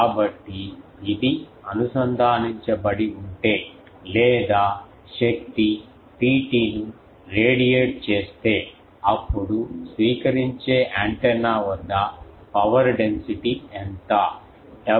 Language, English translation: Telugu, So if this one is connected or radiating power P t then what is the power density at the receiving antenna